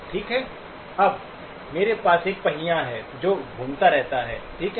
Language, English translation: Hindi, Okay, now I have a wheel that is spinning, okay